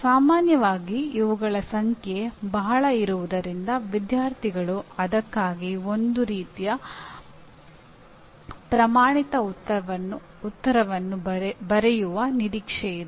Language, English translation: Kannada, Generally because of the numbers involved, the students are expected to write a kind of a standard answer for that